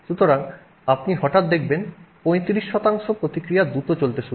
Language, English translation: Bengali, So, you suddenly see, you know, 35% of the reaction starts moving quickly, right